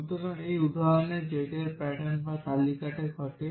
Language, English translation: Bengali, So, in this example z occurs in this pattern or list